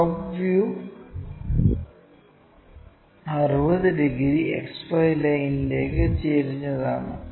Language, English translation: Malayalam, It is top view is again apparent angle 60 degrees inclined to XY line